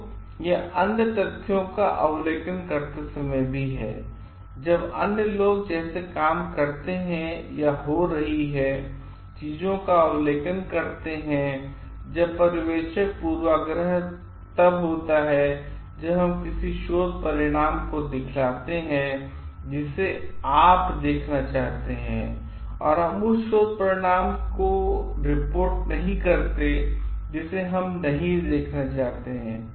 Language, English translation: Hindi, So, this is also while observing other facts, others like work or observing things happening, then the observer bias happens when we report something which you want to see and we do not report something which we don t want to see